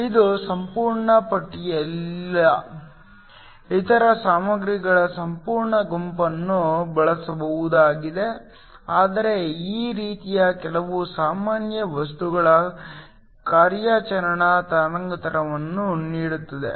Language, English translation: Kannada, This is not a complete list, there are whole bunch of other materials that can be used but this sort of gives the operating wavelengths of some of the common materials